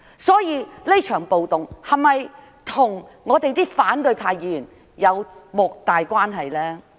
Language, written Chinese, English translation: Cantonese, 所以，這場暴動是否與反對派議員有莫大關係？, Hence does this riot have a great deal to do with the opposition Members?